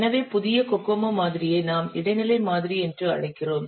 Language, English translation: Tamil, So the newer cocoa model we call as the intermediate model